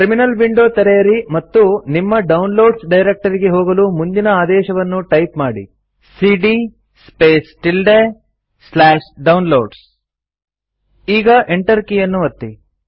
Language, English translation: Kannada, Open a Terminal Window and go to your Downloads directory by typing the following command#160:cd ~/Downloads Now press the Enter key